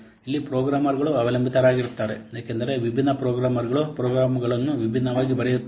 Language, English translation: Kannada, Similarly, it is programmer dependent because different programmers will write the program programs differently